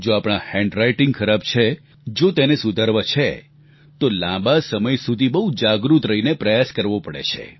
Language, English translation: Gujarati, If we have bad handwriting, and we want to improve it, we have to consciously practice for a long time